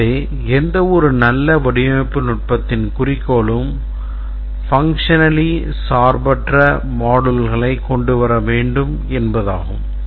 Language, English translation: Tamil, So the goal of any good design technique is to come up with a functionally independent set of modules